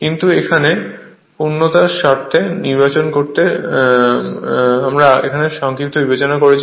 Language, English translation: Bengali, But here for the sake of completeness we have to choose to we have to consider it for numerical also